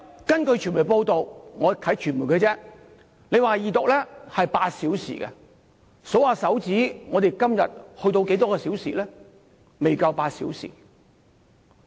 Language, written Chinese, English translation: Cantonese, 根據傳媒報道，你說二讀辯論的時間有8小時，如果數算一下，我們今天辯論了多少個小時？, According to media reports you said that the Second Reading debate has taken eight hours . If we do some counting how many hours have we spent on the debate today?